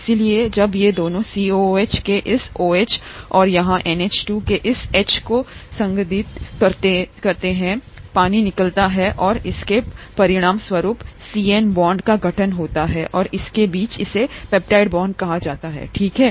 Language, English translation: Hindi, So when these two interact this OH of the COOH here, and this H of the NH2 here, condense out, the water comes out and it results in the formation of the CN bond here, the bond between this and this, this is called the peptide bond, okay